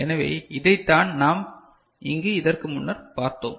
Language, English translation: Tamil, So, this is what we had seen before over here